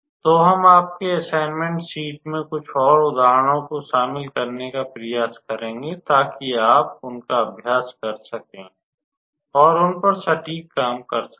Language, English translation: Hindi, So, we will try to include some more examples in your assignment sheet, so that you can be able to practice them, and be perfect at them